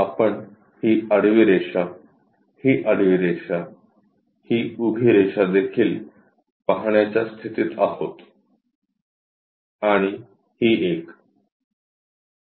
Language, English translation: Marathi, We will be in a position to see this horizontal line, this horizontal line, this vertical also we will be in a position to see and this one